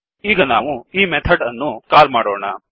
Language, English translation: Kannada, Now we will call this method